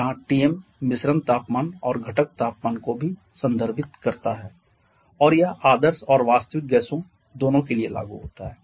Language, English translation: Hindi, Where Tm refers to the mixture temperature and also the component temperatures and this is applicable for both ideal and real gases